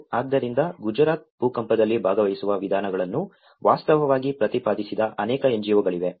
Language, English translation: Kannada, So, there are many NGOs who have actually advocated participatory approaches in Gujarat earthquake